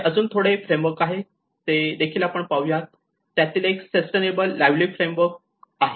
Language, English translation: Marathi, There are few more frameworks which I let us go through; one is the sustainable livelihoods framework